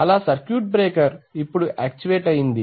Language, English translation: Telugu, So the circuit breaker is actuated